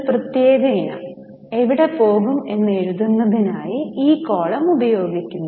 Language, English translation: Malayalam, This column is specially kept for writing where a particular item will go